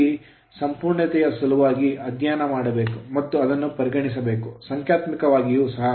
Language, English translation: Kannada, But here for the sake of completeness we have to choose to we have to consider it for numerical also